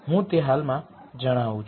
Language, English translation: Gujarati, I will explain that is presently